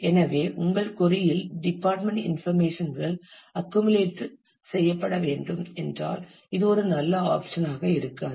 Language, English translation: Tamil, So, if your query has the department based information to be to be accumulated, and then this may not be a good option